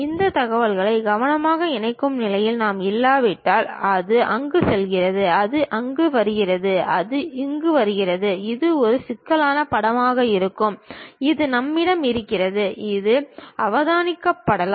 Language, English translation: Tamil, If we are not in a position to carefully connect this information maybe this one goes there, this one comes there, this one comes and it will be a complicated picture we will be having which might be observed also